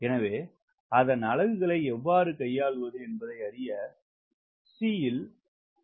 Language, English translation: Tamil, so we spend some time on c so that you know how to handle this problem of units